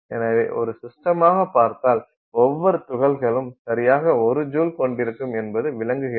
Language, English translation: Tamil, So, you can think of it as a system where every particle has exactly 1 joule